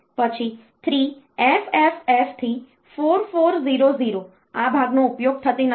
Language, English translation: Gujarati, Then 3FFF to 4400, this part is not used